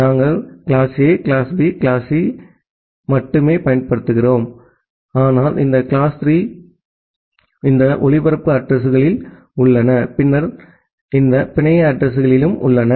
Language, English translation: Tamil, We are only utilizing class A, class B class C, but inside also class this 3 classes we have this broadcast addresses, then this network addresses